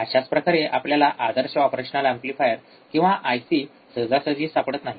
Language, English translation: Marathi, Same way we cannot also find operation amplifier or IC which is ideal